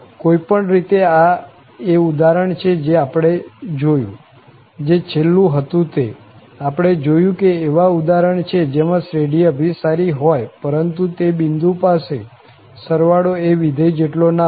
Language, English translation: Gujarati, So, anyway, this is the example we have seen, the last one, we have seen that there are examples where the series converges, but the sum is not equal to the function at that point